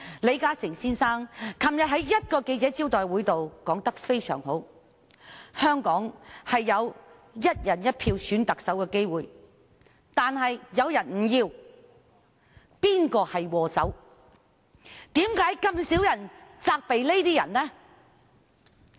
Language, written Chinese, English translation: Cantonese, 李嘉誠先生昨天在一個記者招待會上說得非常好，他指香港原本有機會"一人一票"選特首，但有些人卻拒絕；他聲言要找出禍首。, Mr LI Ka - shing made an excellent remark at a press conference yesterday . He said that Hong Kong could have had the chance to elect the Chief Executive by one person one vote only to be rejected by a few people